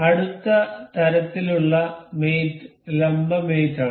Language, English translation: Malayalam, The next kind of mate is perpendicular mate